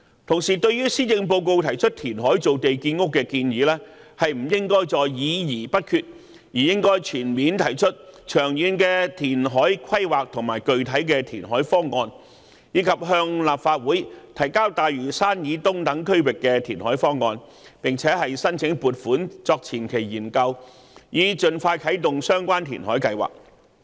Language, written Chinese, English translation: Cantonese, 同時，對於施政報告提出填海造地建屋的建議，政府不應再議而不決，而應提出全面和長遠的填海規劃和具體的填海方案，以及向立法會提交大嶼山以東等區域的填海方案，並申請撥款作前期研究，以盡快啟動相關填海計劃。, Meanwhile instead of remaining indecisive on the reclamation proposals for land creation and housing development presented in the Policy Address the Government should put forth comprehensive and long - term reclamation planning and specific reclamation proposals and present to the Legislative Council proposals for reclamation in areas such as the east of Lantau Island . It should also apply for funding for preliminary studies to commence the relevant reclamation plan expeditiously